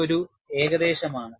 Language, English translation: Malayalam, It is an approximation